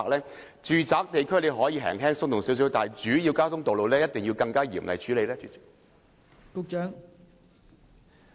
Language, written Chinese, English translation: Cantonese, 我認為住宅區執法可以較為寬鬆，但在主要交通道路一定要嚴厲處理。, In my opinion a more lax approach may be adopted in law enforcement in residential areas but strict law enforcement actions must be carried out on major roads